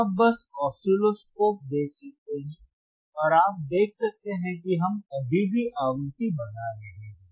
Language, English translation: Hindi, So, you see on the oscilloscope, just hold on, show where the frequency they are to see